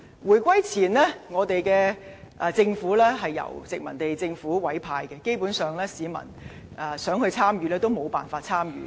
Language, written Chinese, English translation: Cantonese, 回歸前，政府高官由殖民地政府委派，基本上，市民參與無從。, Before the reunification all senior government officials were appointed by the colonial government and the masses basically could not be involved